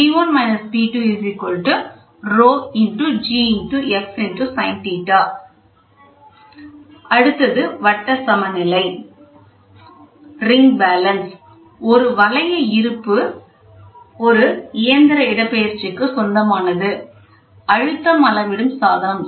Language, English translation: Tamil, So, the next one is ring balance, a ring balance belongs to a mechanical displacement type pressure measuring device